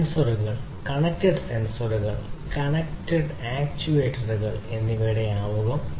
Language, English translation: Malayalam, And now we have the introduction of sensors, connected sensors, connected actuators, and so on